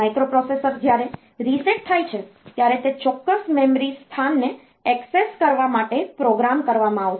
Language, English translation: Gujarati, So, as I said that the processor, the microprocessor when it is reset, it will be programmed to access a particular memory location